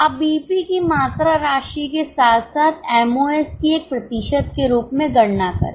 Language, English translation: Hindi, Now compute BP quantity amount as well as MOS as a percentage